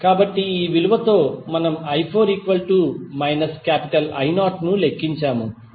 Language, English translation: Telugu, Now, we have to find the values from i 1 to i 4